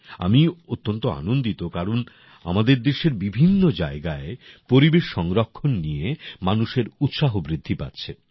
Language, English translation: Bengali, I am very happy to see the increasing enthusiasm for environmental protection in different parts of the country